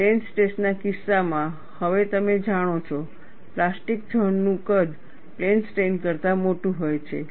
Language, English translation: Gujarati, In the case of plane stress, now, you know, the size of the plastic zone is much larger than in plane strain